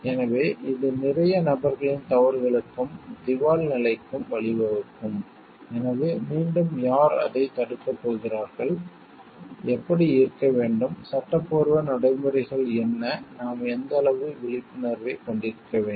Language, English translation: Tamil, So, it can lead to blunders and bankruptcy of lot of people, so again who is going to stop it how like, what are the legal procedures that we may have, what is the degree of vigilance that we will be having